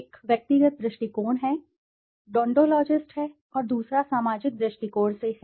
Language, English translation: Hindi, One is from the individual point of view, the deontologist and the other is from a societal point of view